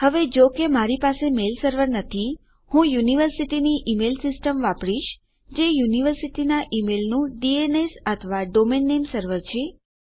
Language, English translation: Gujarati, Now as I dont have a mail server, I will use my university email system which is the DNS or the Domain Name Server of my university email Thats the way my email is sent through my university